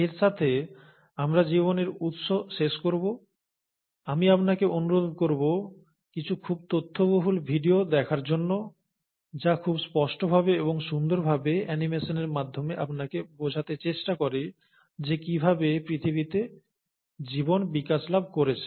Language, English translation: Bengali, So with that, we’ll end origin of life, I would urge you to go through some of the very informative videos, which very explicitly and beautifully through animation also try to explain you how life must have evolved on earth